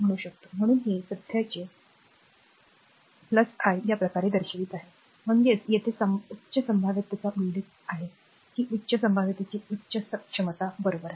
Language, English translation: Marathi, So, it is showing current your plus i this way; that is, higher potential to here it is mentioned that higher potential to lower potential, right